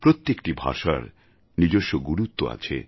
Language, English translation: Bengali, Every language has its own significance, sanctity